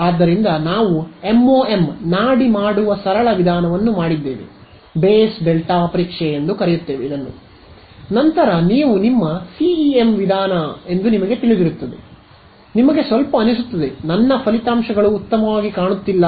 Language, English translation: Kannada, So, this is what we did the simplest way of doing MoM pulse basis delta testing, then you get a little you know you are your CEM course, you feel a little of ended they are what is this my results are not looking good